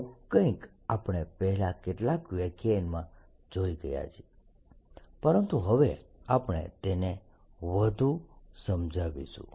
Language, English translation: Gujarati, this is something we have already talked about in first few lectures but now will explain it further